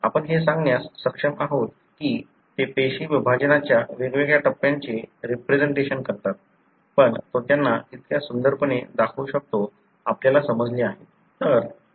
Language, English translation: Marathi, We are able to tell that they represent different stages of the cell division; but he is able to show them so beautifully, we have understood